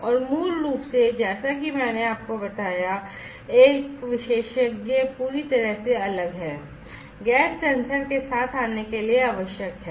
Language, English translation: Hindi, And taking together basically as I told you that the experts is completely different, that is required to come up with a gas sensor